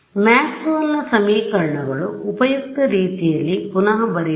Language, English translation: Kannada, So, our usual Maxwell’s equations let us just rewrite them in a way that is useful